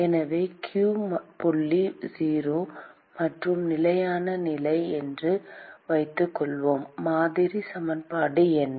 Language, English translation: Tamil, So, supposing we assume that q dot is 0 and steady state condition what is the model equation